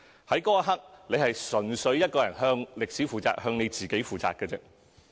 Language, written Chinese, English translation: Cantonese, 在那一刻，選委純粹向歷史、向自己負責。, At that very moment EC members are purely accountable to history and to themselves